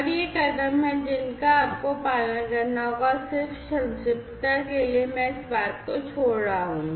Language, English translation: Hindi, And these are the steps that you will have to follow and for just brevity, I am skipping this thing